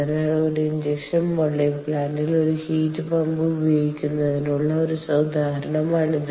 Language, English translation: Malayalam, ok, so this is an example for use of a heat pump in an injection molding plant